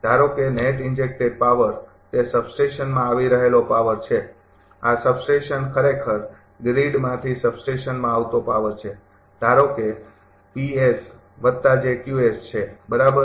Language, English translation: Gujarati, Suppose net injected power is power coming to the substation, this substation actually power coming from the grid to the substation, suppose it is P s plus j Q s, right